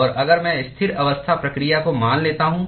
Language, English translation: Hindi, And if I assume the steady state process